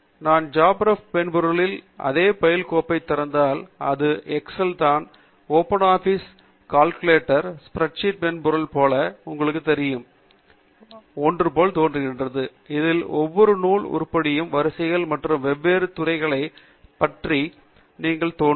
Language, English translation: Tamil, So, if you open the same bib file in JabRef software, then it looks like something familiar to you like an Excel sheet or Open Office Calc spread sheet software, where each of the bibliographic item is appearing as rows and different fields as columns